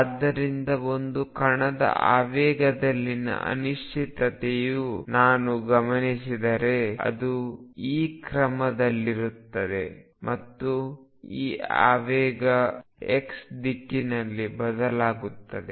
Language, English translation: Kannada, So, the uncertainty in the momentum of a particle if I observe it is going to be of this order and this momentum changes in the direction x